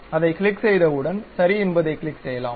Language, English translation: Tamil, Once we click that, we can click Ok